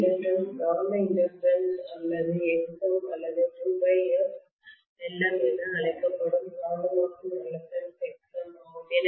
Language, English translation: Tamil, This inductance we are calling as the magnetising inductance or Xm or Lm 2 pi f Lm is the magnetising reactance which is Xm, fine